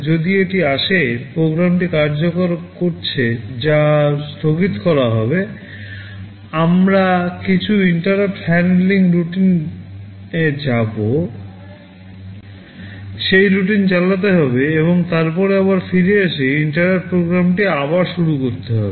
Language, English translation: Bengali, If it comes, the program that is executing will be suspended, we will have to go to some interrupt handling routine, run that routine and then again come back and resume the interrupted program